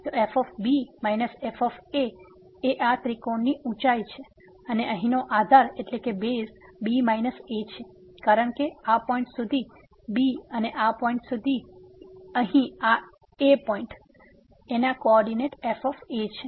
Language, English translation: Gujarati, So, minus is this height of this triangle and the base here is minus , because up to this point is and up to this point here the co ordinate of this point is a